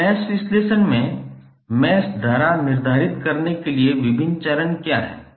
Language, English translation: Hindi, Now, what are the various steps to determine the mesh current in the mesh analysis